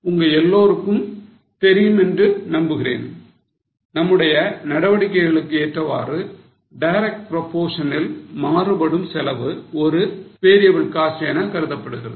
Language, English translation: Tamil, I hope most of you know that a cost which changes in the direct proportion with the level of activity is considered as a variable cost